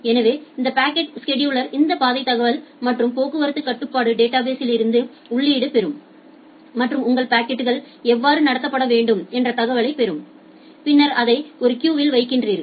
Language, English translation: Tamil, So, this packet scheduler it will get input from this route information as well as from the traffic control database, that the how your packets need to be treated, and then it puts it in one of the queues